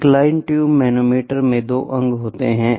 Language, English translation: Hindi, Incline tube manometer is an inclined tube manometer comprises two limbs